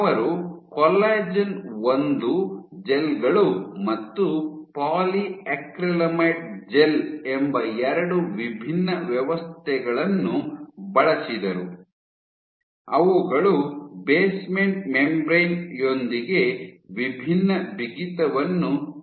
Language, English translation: Kannada, So, she used two different systems collagen 1 gels and polyacrylamide gels which are functionalized with basement membrane of varying stiffness